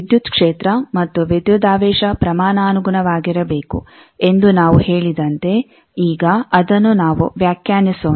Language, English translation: Kannada, Now let us define as we said that the electric field and voltage should be proportional